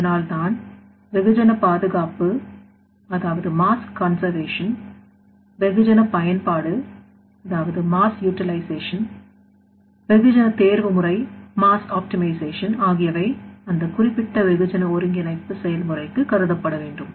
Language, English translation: Tamil, So that is why mass conservation mass utilization mass optimization within the process to be considered for that particular mass integration process